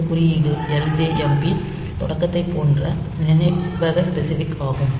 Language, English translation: Tamil, So, this code is memory specific like this is ljmp start